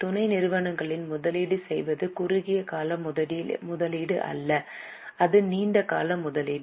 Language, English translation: Tamil, See, investment in subsidiary is not a short term investment